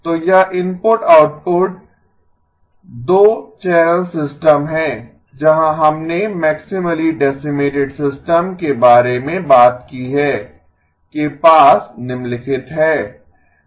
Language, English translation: Hindi, So this input output 2 channel system where we talked about a maximally decimated system has the following